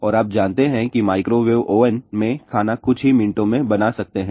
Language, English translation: Hindi, And you know that you can cook the food in a microwave oven in about few minutes